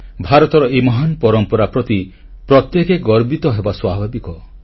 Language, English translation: Odia, It is natural for each one of us to feel proud of this great tradition of India